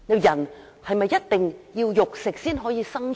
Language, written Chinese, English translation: Cantonese, 人是否一定要食肉才可生存？, Must human beings eat meat to survive? . Not necessary